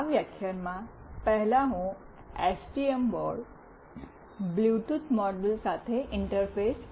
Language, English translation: Gujarati, In this lecture, firstly I will be interfacing with the STM board a Bluetooth module